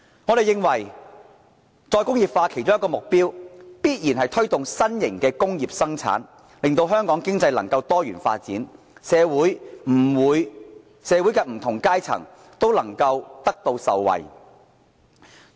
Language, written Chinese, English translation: Cantonese, 我們認為再工業化的其中一個目標，必然是推動新型的工業生產，令香港經濟能夠多元發展，惠及社會的不同階層。, We consider that by promoting re - industrialization the Government must set its sight on taking forward new industrial production so as to diversify Hong Kongs economy and benefit people in different social strata